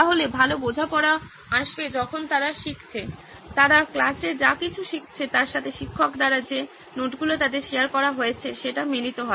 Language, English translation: Bengali, So better understanding should come when they are learning, whatever they are learning in class is synchronized with whatever notes they are being shared from the teachers